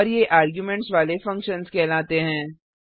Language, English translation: Hindi, And this is called as functions with arguments